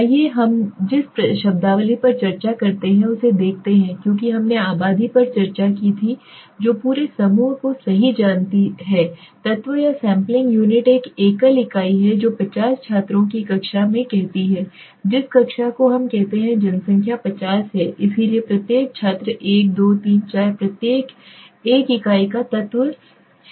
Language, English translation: Hindi, Let us see the terminology involved as I discussed population we know right the entire group element or sampling unit is one single unit let us say in a class of 50 students the class let us say the population is 50 so each student 1 2 3 4 each is an unit or element right